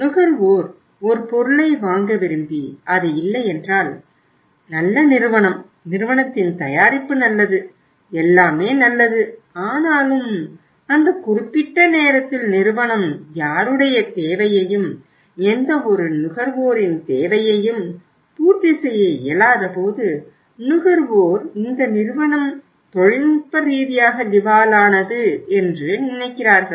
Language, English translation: Tamil, So we understand company is good, company’s product is good, everything is good but at that particular point of time when the company is not able to serve anybody’s need, any consumer’s need so consumer thinks that this company is technically insolvent